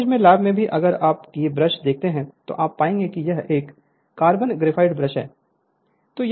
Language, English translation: Hindi, In your college also in the lab if you see this brushes are made of you will find it is a carbon graphite brushes right